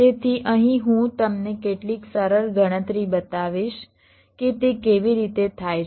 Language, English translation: Gujarati, so here i shall be showing you some simple calculation how it is done